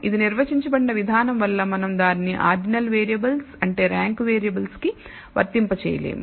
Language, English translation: Telugu, The way it is defined we can also not apply it to ordinal variables which means ranked variable